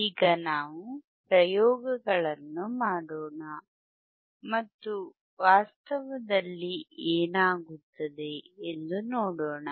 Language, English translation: Kannada, Now let us perform the experiments and let us see in reality what happens, right